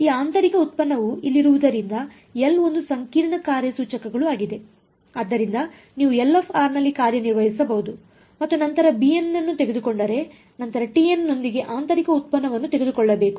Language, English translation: Kannada, This inner product over here because L is a complicated operator; so, you have to operated on L of r and then take the b of n and then take a inner product with t of n